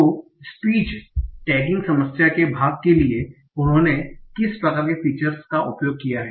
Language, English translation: Hindi, So what I will show is that what kind of features they are used for part of speech tagging